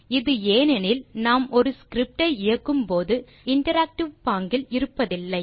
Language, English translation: Tamil, This happens because when we are running a script, we are not in the interactive mode anymore